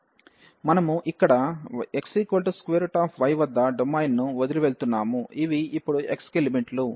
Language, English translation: Telugu, So, we are leaving the domain here at x is equal to square root y, so these are the limits now for x